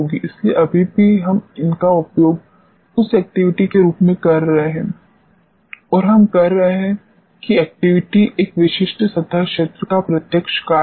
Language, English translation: Hindi, So, still we are using these as the activity what and we are saying that activity is the direct function of a specific surface area